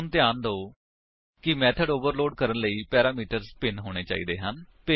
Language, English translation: Punjabi, So, remember that to overload a method, the parameters must differ